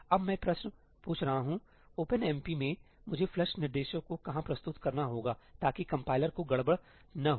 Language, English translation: Hindi, Now, I am asking the question: in OpenMP, where do I have to introduce the flush instructions so that the compiler does not mess this up